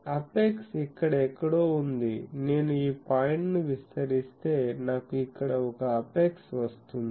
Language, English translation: Telugu, Apex is something here, if I extend this point and this point I get an apex here